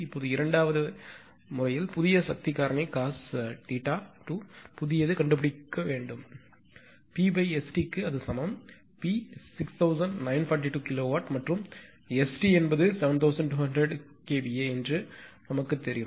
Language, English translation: Tamil, Now, in the second case the new power factor require can be found as that cos theta 2 new right is equal to P upon S T; P we know 6942 kilowatt and S T is 7200 kVA